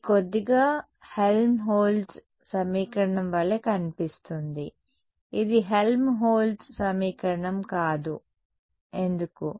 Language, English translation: Telugu, It looks a little bit like a Helmholtz equation it is not Helmholtz equation why